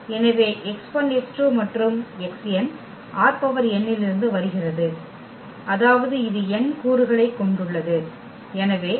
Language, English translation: Tamil, So, x 1 x 2 and x is from R n that means it has n components; so, x 1 x 2 x 3 x n